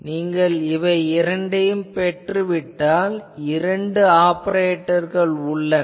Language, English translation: Tamil, If you get this two are that two operator